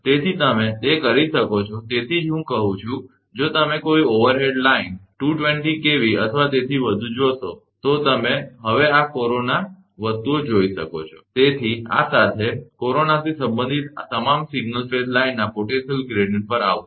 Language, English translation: Gujarati, So, you can that is why I am telling that, try to if you see any overhead line 220 kV or above, you can see this corona things now, with this will come to the potential gradient for single phase line all related to corona